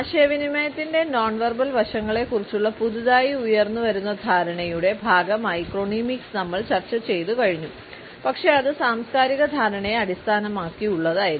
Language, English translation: Malayalam, We have looked at chronemics as a part of our newly emerging understanding of nonverbal aspects of communication, but still it was based on cultural perception